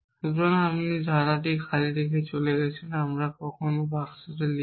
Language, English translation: Bengali, So, all you left with this empty clause we sometime write with a box sometime we write with this